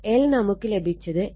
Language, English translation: Malayalam, So, in this case, it will be 2